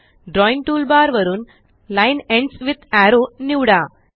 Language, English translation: Marathi, From the Drawing toolbar, select Line Ends with Arrow